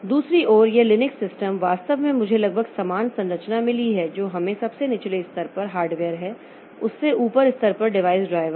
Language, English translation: Hindi, On the other hand, this Linux system, so they actually have got almost similar structure at the lowest level we have got the hardware on top of that we have got device drivers